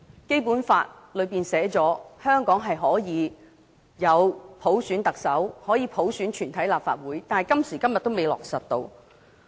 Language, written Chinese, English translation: Cantonese, 《基本法》訂明香港可以普選行政長官及全體立法會議員，但今時今日仍然未能落實。, The Basic Law provides that the Chief Executive and all Members of the Legislative Council shall be elected by universal suffrage but these provisions have not been implemented even up to this date